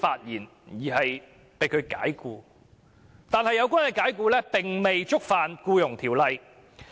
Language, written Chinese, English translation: Cantonese, 然而，這些解僱並未觸犯《僱傭條例》。, However such dismissals were not in breach of the Employment Ordinance